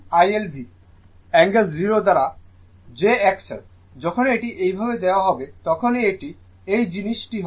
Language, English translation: Bengali, IL is equal to V angle 0 upon jX L, this is your whenever whenever it will be given like these this is your this thing